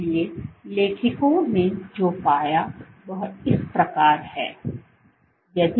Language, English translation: Hindi, So, what the authors found is as follows